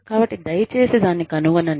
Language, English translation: Telugu, So, please find that out